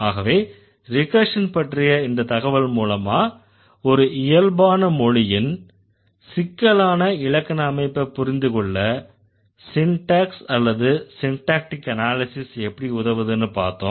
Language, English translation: Tamil, So, with this information about recursion, we got an idea what syntax can do or syntactic analysis can do to understand the complexity of grammatical constructions in natural language